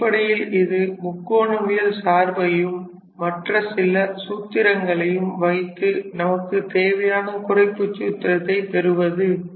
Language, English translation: Tamil, So, it is all about playing with the trigonometrical functions and some formulas and you sort of obtain the required reduction formula